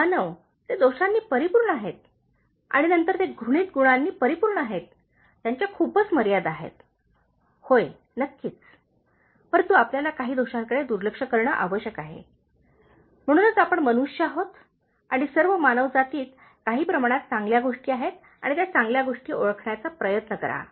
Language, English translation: Marathi, human beings they are full of flaws and then they are full of detestable qualities, they have lot of limitations, yes of course, but you need to ignore some of this flaws, because that is why we are human beings and all human beings have some good things and try to identify those good things